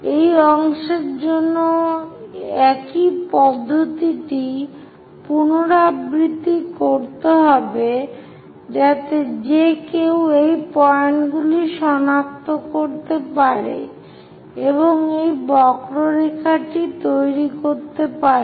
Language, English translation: Bengali, Same procedure one has to repeat it for this part also so that one will be in a position to identify these points, construct this curve